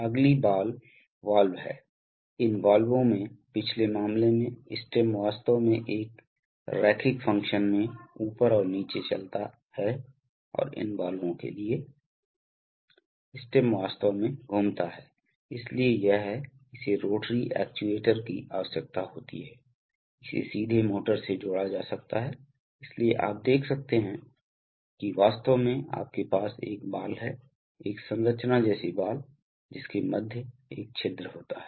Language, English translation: Hindi, Next are ball valves, these valves have, in the previous case the stem actually moves in a linear fashion up and down, and for these valves, the stem actually rotates, so it is a, so it requires a rotary actuator, can be directly coupled to a motor, so you see that actually you have a ball, a ball like structure through which there is a hole